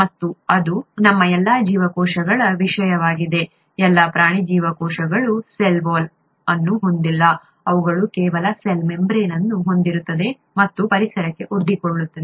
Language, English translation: Kannada, And that is the case with all our cells, all animal cells do not have a cell wall, they just have a cell membrane and that is what is exposed to the environment